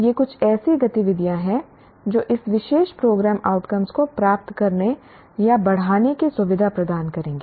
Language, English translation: Hindi, These are some of the activities that will enhance or that will facilitate attainment of this particular program outcome